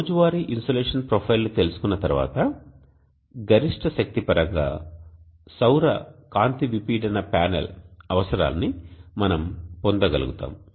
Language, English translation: Telugu, Once we know the daily insulation profile, we will be able to derive the solar photovoltaic panel requirement in terms of peak power